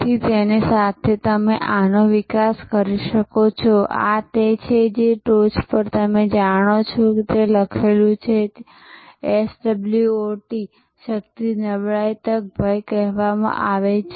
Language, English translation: Gujarati, So, with that you can develop this, this is you know on top as is it written, it is called SWOT Strength Weakness Opportunity Threat